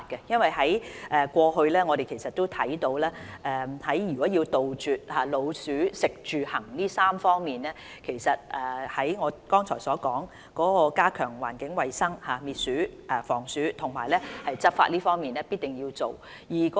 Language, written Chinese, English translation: Cantonese, 因為過去我們看到，如果要杜絕老鼠的"食住行"這3方面，正如我剛才所說，在加強環境衞生滅鼠、防鼠和執法方面，必定要做。, It is because past experience tells us if we are to eliminate the food source habitats and breeding grounds for rates as I have said just now we must enhance the environmental hygiene for rodent elimination and prevention enforcement work should also be carried out